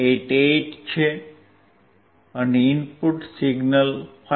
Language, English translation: Gujarati, 88V, and the input signal is 5